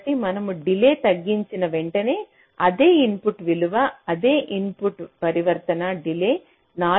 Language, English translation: Telugu, so for this case, as soon as we reduce the delay for the same input values, same input transition, the delay is be showing at four